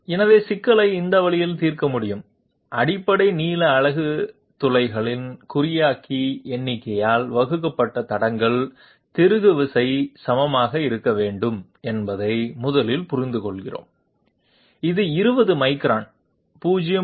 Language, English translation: Tamil, So we can solve the problem this way, we 1st understand that the basic length unit must be equal to leads screw pitch divided by the encoder number of holes, which is 20 microns 0